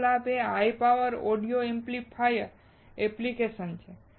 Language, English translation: Gujarati, Second advantage is high power audio amplifier application